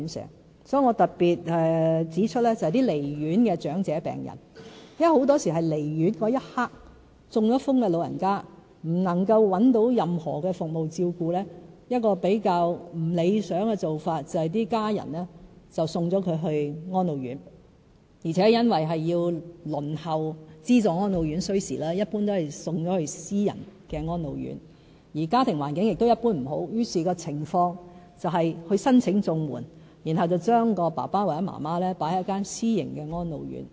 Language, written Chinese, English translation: Cantonese, 因此，我特別指出一些離院的長者病人，因為很多時候是離院的一刻，中風的長者不能找到任何服務照顧，比較不理想的做法是家人送他們到安老院，而且因為輪候資助安老院需時，一般會把長者先送到私營安老院，而家庭環境一般亦不佳，於是情況便是要申請綜援，然後把爸爸媽媽送到私營安老院。, I thus want to raise a special point about elderly patients discharged from hospitals because in many cases the problem is about the lack of care services for elderly patients stroke patients for example at the juncture of discharge from hospital . So their families may send them to Residential Care Homes for the Elderly RCHEs . And since the wait for subvented RCHEs is long they will usually want to send their elders to private RCHEs first